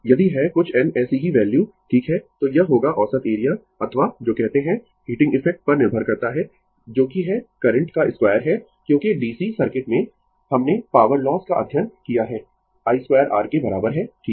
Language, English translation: Hindi, If you have some n such values right, then it will be your average area or what you call depends on the heating effect that is the square of the current because in DC circuit, we have studied the power loss is equal to i square r right